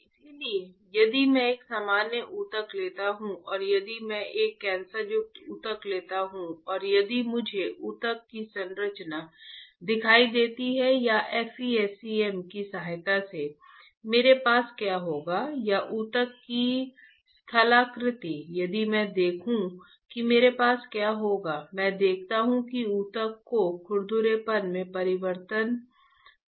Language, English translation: Hindi, So, if I take a normal tissue and if I take a cancerous tissue and if I see the structure of the tissue or with the help of FESEM, what I will have or a topography of the tissue, if I see what I will have, I see that there is a change in the roughness of the tissue